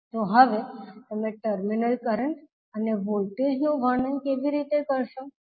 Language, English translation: Gujarati, So now, how you will describe the terminal currents and voltages